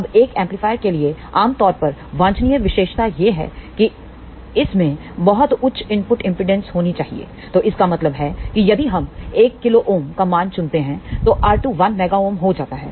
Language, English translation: Hindi, Now for an amplifier generally desirable characteristic is that it should have a very high input impedance; so that means, if we choose the value of 1 kilo ohm, then R 2 comes out to be 1 mega ohm